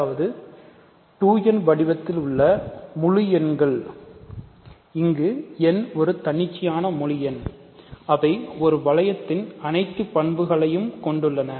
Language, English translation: Tamil, So, even integers; that means, integers of the form 2n, where n is an arbitrary integer, they do have all the properties of a ring